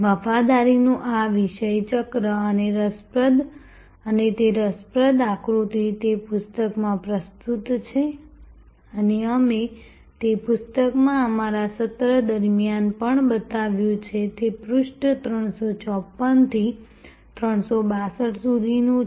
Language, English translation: Gujarati, This topic wheel of loyalty and that interesting diagram; that is presented in the book and we also showed it during our session in the book, it is from page 354 to 362